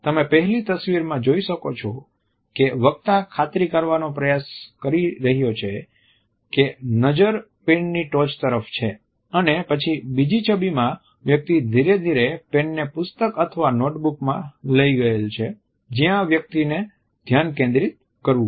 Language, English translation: Gujarati, As you can see in the 1st image the speaker is trying to ensure that the gaze is shifted towards the tip of the pen and then in the 2nd image the person has gradually brought the pen to the point in the book or the notebook where the person has to concentrate